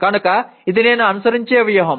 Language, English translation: Telugu, So that is a strategy that I follow